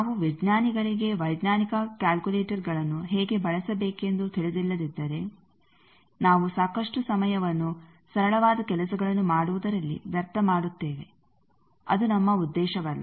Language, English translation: Kannada, If we scientist do not know how to use scientific calculators then lot of time we waste for doing simple things which is not our aim